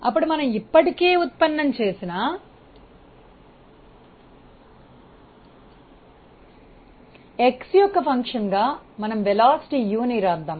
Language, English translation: Telugu, Now so, this is something that we have already derived and let us write the velocity u as a function of x